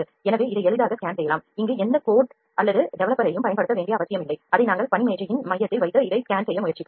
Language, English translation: Tamil, So, this can be scanned easily we need not to apply any coat or developer here, we will just put it in the center of the work table and try to scan this